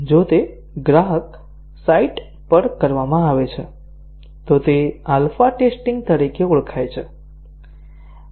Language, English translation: Gujarati, If it is done at the customer site, then it is called as alpha testing